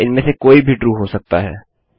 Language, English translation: Hindi, or either of these could be true to make this